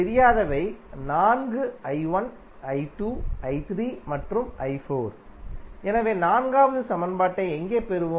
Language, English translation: Tamil, Unknowns are four i 1, i 2 then i 3 and i 4, so where we will get the fourth equation